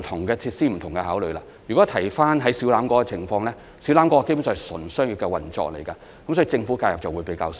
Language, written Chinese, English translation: Cantonese, 說回小欖跳蚤市場的情況，那基本上是純商業的運作，所以，政府的介入會比較少。, Now let us return to the case of Siu Lam Flea Market . It is basically a purely commercial operation so there will be less intervention by the Government